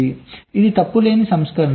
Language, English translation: Telugu, this is for the fault free version